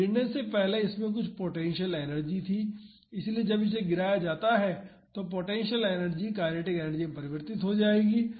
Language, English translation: Hindi, So, when it was before dropping it had some potential energy; so, when it is being dropped that potential energy will become converted to kinetic energy